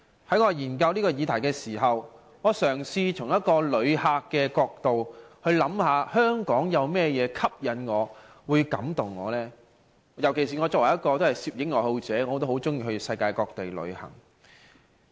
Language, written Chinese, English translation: Cantonese, 在我研究這議題時，我嘗試從一個旅客的角度去思考香港有甚麼吸引我、感動我的地方？尤其是我作為一位攝影愛好者，很喜歡到世界各地旅行。, When I examine this topic I try to consider from the perspective of a visitor in what way does Hong Kong attract or impress me particularly a person who likes taking photos and travelling around the world